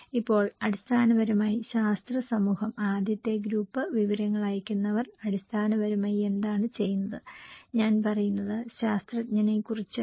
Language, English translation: Malayalam, Now, the scientific community basically, the first group the senders of the informations what do they do basically, I am talking about the scientist